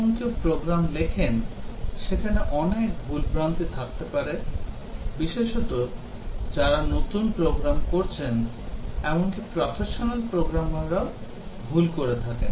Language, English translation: Bengali, When anybody writes a program, there may be lot of errors committed, specially the new programmers, even the professional programmers they commit mistakes